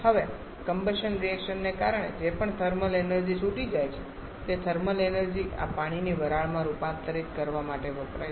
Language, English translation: Gujarati, Some liquid commonly is water now because of the combustion reactions whatever thermal energy is released that thermal energy is used to convert this water to steam